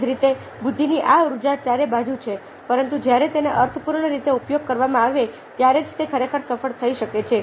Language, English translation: Gujarati, in a similar way, there is these energy of intelligence all around, but only when it is applied in a meaningful way can it actually be successful